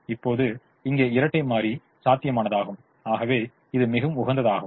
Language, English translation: Tamil, now, here the dual is feasible, therefore it is optimum